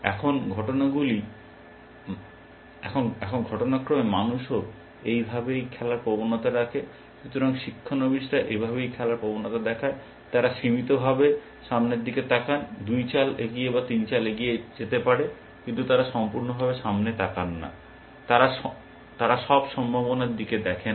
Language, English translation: Bengali, Now, incidentally, that is how human beings also tend to play, at least the beginners, that is how they tend to play, they do a limited look ahead, may be two moves ahead or three moves ahead, but they do not do a complete look ahead, in the sense they do not look at all possibilities